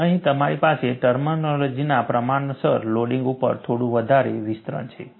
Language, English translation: Gujarati, And here, you have a little more expansion on the terminology proportional loading